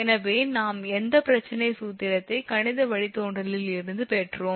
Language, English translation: Tamil, So, whatever problem formula we have derived mathematical derivation